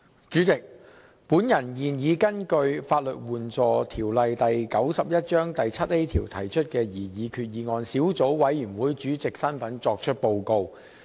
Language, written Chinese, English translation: Cantonese, 主席，我現以根據《法律援助條例》第 7a 條提出的擬議決議案小組委員會主席的身份作出報告。, President I will now report to this Council in my capacity as Chairman of the Subcommittee on Proposed Resolution under Section 7a of the Legal Aid Ordinance Cap . 91